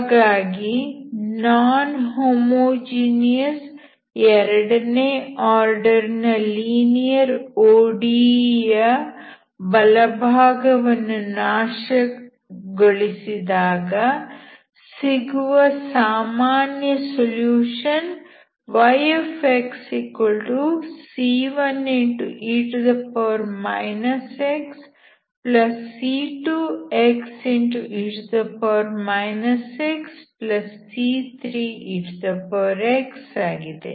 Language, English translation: Kannada, Therefore the general solution after annihilating the right hand term of the non homogeneous second order linear ODE is y =c1 e−x+c2 x e−x+c3 ex